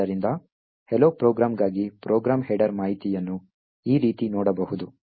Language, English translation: Kannada, So, the program header information for the hello program could be viewed like this